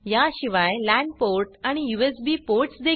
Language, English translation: Marathi, It also has a lan port and USB ports